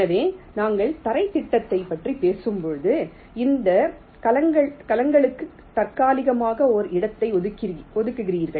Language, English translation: Tamil, so when we talk about floorplanning you are tentatively assigning a location for this cells